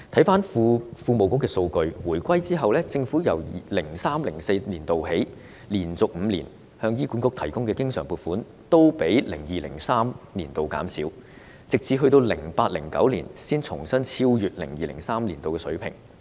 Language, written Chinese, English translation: Cantonese, 根據庫務署提供的數據，政府在回歸後自 2003-2004 年度起，連續5年向醫管局提供的經常撥款都較 2002-2003 年度減少，直至 2008-2009 年度才重新超越 2002-2003 年度的水平。, According to the data provided by the Treasury for five consecutive years since 2003 - 2004 after the reunification the recurrent funds provided by the Government to HA were lower than that provided in 2002 - 2003 and the funding level in 2002 - 2003 was only exceeded again in 2008 - 2009